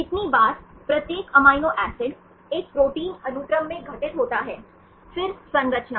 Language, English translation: Hindi, Number of times each amino acid occurs in a protein sequence, then composition